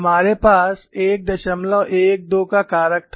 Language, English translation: Hindi, We had a factor of 1